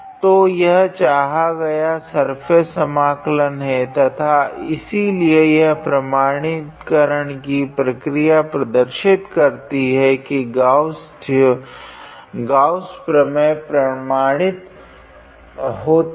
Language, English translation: Hindi, So, this is the required surface integral and therefore, this verification process shows that the Gauss divergence theorem is verified